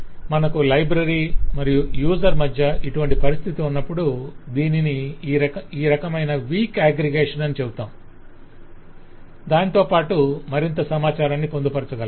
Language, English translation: Telugu, so whenever you have that situation between library and user and this kind, you say this is a weak aggregation and along with that we can noted further information